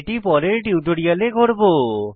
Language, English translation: Bengali, We will do this in the later tutorial